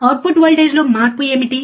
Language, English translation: Telugu, What is change in output voltage